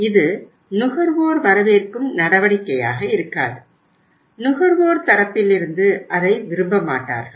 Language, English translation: Tamil, It will not be a welcome step from the consumer side